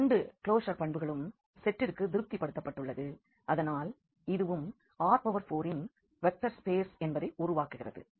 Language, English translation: Tamil, So, the both the closure properties are satisfied for the set and hence this will also form a vector space of R 4